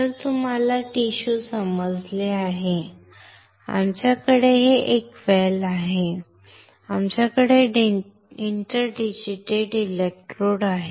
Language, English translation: Marathi, So, you understand tissue, we have a well, we have inter digitated electrodes